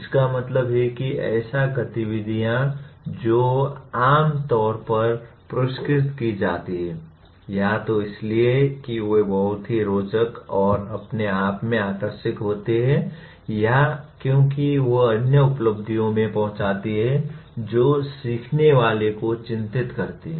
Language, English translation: Hindi, That means activities that are amply rewarded, either because they are very interesting and engaging in themselves or because they feed into other achievements that concern the learner